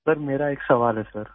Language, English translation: Urdu, Sir, I have a question sir